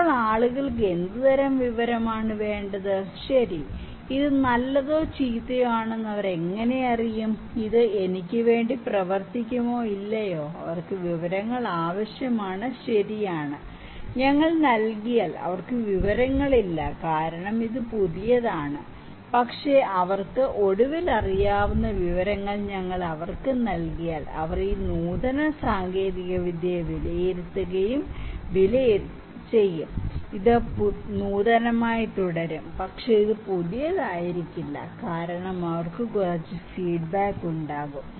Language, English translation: Malayalam, So, what kind of information people then need, how they would know that okay, this is good or bad, this has this will work for me or not, they need information, right, if we provide, they do not have the information because this is new, but if we provide them information they would eventually know, they would judge and evaluate this innovative technology, this will remain innovative, but this would not be that new, because they would have some feedback